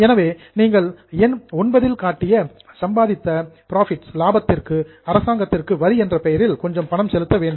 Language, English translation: Tamil, So, on the profits which you have earned in 9, you will have to pay some money to government, that is the taxes